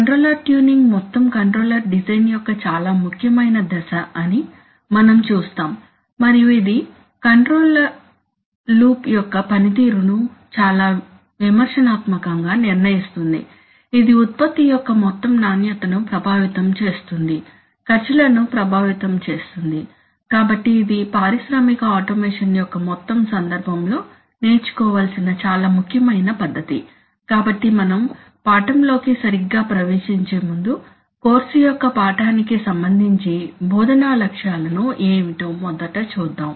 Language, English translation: Telugu, As we will see that controller tuning is a very important phase of the overall controller design and it very critically determines the performance of the control loop which in turn affects the overall quality of the product, affect costs, so it is a very important method to be learnt in the overall context of industrial automation, so before we get into the business proper, let us first see what are the instructional objectives of the course of the lesson, as is the usual practice